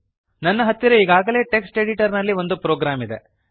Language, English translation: Kannada, I already have a program in a text editor